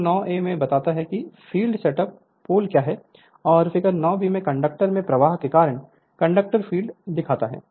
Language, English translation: Hindi, Figure 9 a shows the field set up by the poles, and figure 9 b shows the conductor field due to flow of current in the conductor